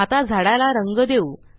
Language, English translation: Marathi, Now, let us color the trees